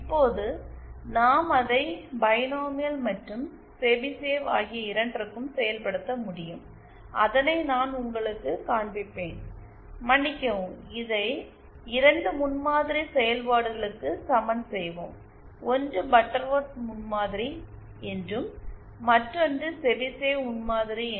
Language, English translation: Tamil, Now we can do it both for binomial and Chebyshev but I will just show you for the, for the I beg your pardon, we will be equating this to 2 prototype functions one is known as the Butterworth prototype and the other is the Chebyshev prototype